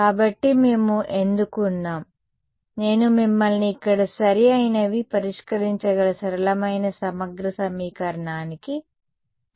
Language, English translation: Telugu, So, that is why we are, I am making taking you to the simplest integral equation that we can solve over here there are right ok